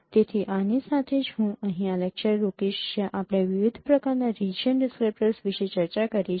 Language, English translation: Gujarati, So with this let me stop here where we have discussed different kinds of region descriptors and we will continue this discussion still